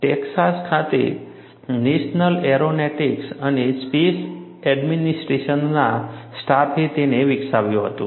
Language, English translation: Gujarati, This was developed by the staff of the National Aeronautics and Space Administration at Texas